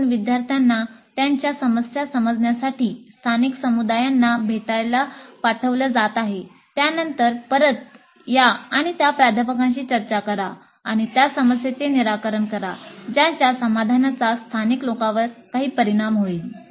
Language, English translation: Marathi, So the students are being sent to visit the local communities to understand their problems, then come back and discuss with the faculty and come out with a formulation of a problem whose solution would have some bearing on the local community